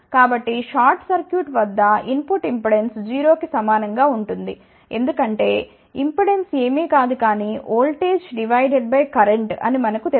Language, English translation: Telugu, So, at short circuit input impedance will be equal to 0, because we know that impedance is nothing, but voltage divided by current